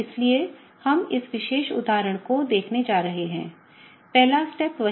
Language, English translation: Hindi, So, we are going to look at this particular example; okay, the first step is the same